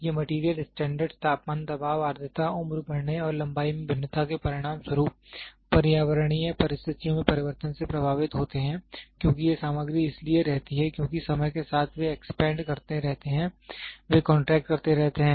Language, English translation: Hindi, These material standards are affected by changing in the environmental conditions such as temperature, pressure, humidity, ageing and resulting in variations in length because these materials keep on because over a period of time ah, they keep expanding, they keep contracting